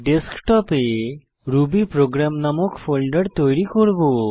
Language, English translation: Bengali, On Desktop, I will create a folder named rubyprogram